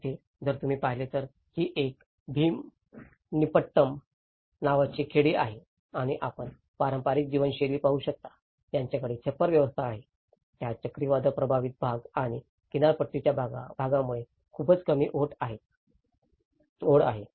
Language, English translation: Marathi, If you look there is, these are some of the villages called Bheemunipatnam and you can see the traditional patterns of living, they have the thatched roof systems, which have a very low eaves because of the cyclone affected areas and the coastal areas